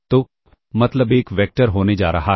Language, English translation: Hindi, So, the mean is going to be a vector